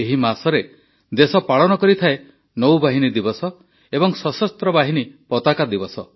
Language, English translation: Odia, This month itself, the country also celebrates Navy Day and Armed Forces Flag Day